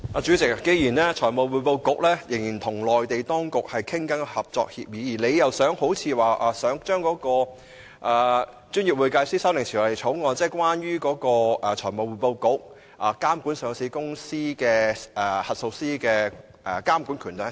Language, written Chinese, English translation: Cantonese, 主席，財務匯報局仍在與內地相關當局商討制訂合作協議，而政府似乎打算向立法會提交《專業會計師條例草案》，賦予財務匯報局監管上市公司及核數師的權力。, President FRC is still discussing the formulation of a cooperation agreement with the relevant Mainland authorities and it looks like the Government intends to introduce a Professional Accountants Amendment Bill the Bill to this Council to empower FRC to regulate listed companies and auditors